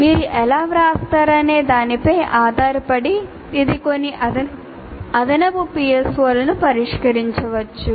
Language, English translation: Telugu, Depending on how you write, it may address maybe additional PSOs